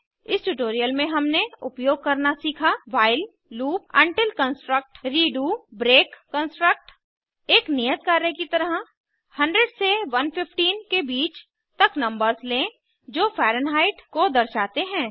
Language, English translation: Hindi, In this tutorial we have learnt to use while loop until construct redo break construct As as assignment Consider a range of numbers 100 to 115 represented as Fahrenheit